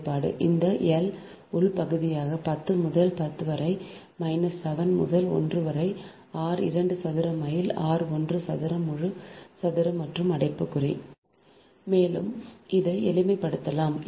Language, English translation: Tamil, the expression will be something like this: l internal half into ten to the power minus seven, into one upon r two square minus r one square, whole square and bracket, all this term, so right, henry per meter